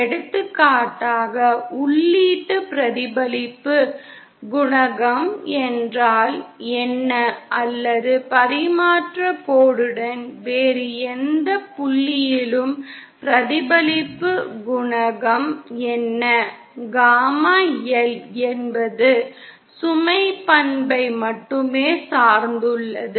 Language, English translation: Tamil, For example, what is the input reflection coefficient or what is the reflection coefficient at any other point along the transmission line, gamma L is a quantity that depends purely on the load property